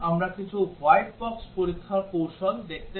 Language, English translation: Bengali, And we have so far looked at some Black box testing techniques